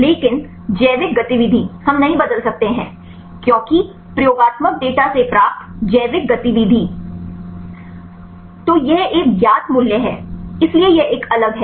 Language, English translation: Hindi, But the biological activity, we cannot change because biological activity obtained from experimental data; so that is a known value, so that is a different one